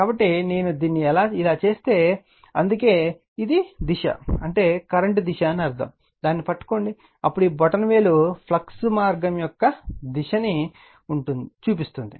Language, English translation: Telugu, So, if I make it like this, so this that is why this is my the dire[ction] this is the I mean in the direction of the current, you grabs it right, and then this thumb will be your direction of the flux path right